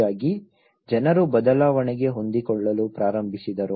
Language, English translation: Kannada, So in that way, people started adapting to the change